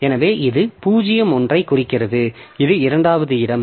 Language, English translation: Tamil, So, it is referring to 01 that is second location